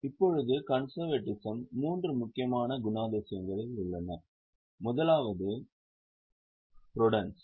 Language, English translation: Tamil, Now, for conservatism, there are three important qualitative characteristics